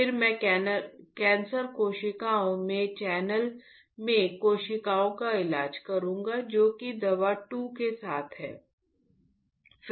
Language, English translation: Hindi, Then I will treat the cells in the channel in the cancer cells which with drug 2